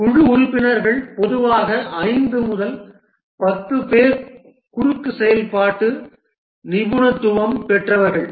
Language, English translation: Tamil, The team members typically 5 to 10 people, they have cross functional expertise